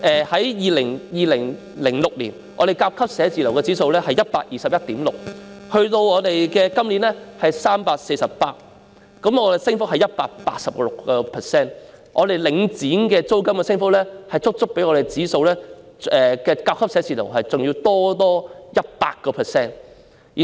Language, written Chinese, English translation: Cantonese, 在2006年，香港甲級寫字樓的租金指數是 121.6， 今年是 348， 升幅是 186%，" 領剪"租金的升幅足足較甲級寫字樓的指數高出 100%。, The rental index for Grade A office in Hong Kong in 2016 was 121.6 which has increased to 348 this year presenting an increase of 186 % . The rental increase imposed by Link REIT exceeds the increase of Grade A office rental by as much as 100 %